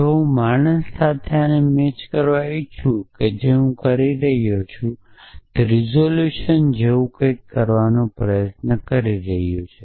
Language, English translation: Gujarati, So, if I am this with a if I want to match this with man, so what I am trying to do I am trying to do something like resolution